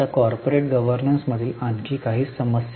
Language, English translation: Marathi, Now, a few more issues in corporate governance